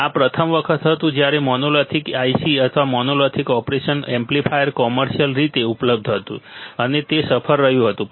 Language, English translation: Gujarati, This was the first time when monolithic ICs or monolithic operation amplifier was available commercially, and it was successful